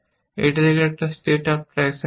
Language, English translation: Bengali, This is a state after action one